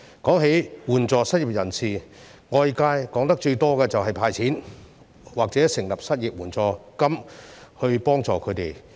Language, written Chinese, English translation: Cantonese, 關於援助失業人士，外界談論得最多的是以"派錢"或成立失業援助金來協助他們。, Regarding the support for the unemployed the options widely discussed in the community are cash handouts and the setting up of unemployment assistance